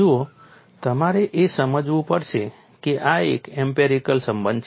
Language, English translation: Gujarati, See, you have to take it that this is an empirical relation